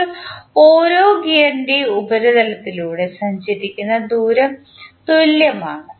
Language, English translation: Malayalam, Now, the distance travelled along the surface of each gear is same